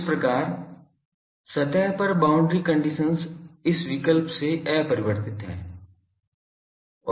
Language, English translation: Hindi, So, the boundary condition on the surface is unaltered by this choice